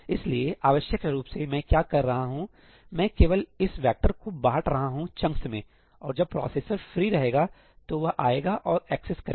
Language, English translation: Hindi, So, essentially what am I doing; I am just dividing this vector into chunks and then as and when a processor becomes free, it comes and accesses